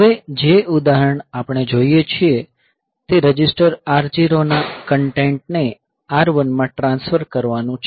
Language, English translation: Gujarati, The next example that we look into is to transfer the content of register R 0 to R 1